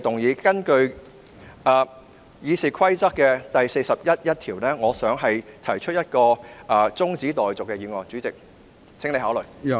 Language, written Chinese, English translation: Cantonese, 我根據《議事規則》第401條動議辯論中止待續議案，請主席考慮。, I move a motion that the debate be now adjourned under Rule 401 of the Rules of Procedure . Would the President please consider this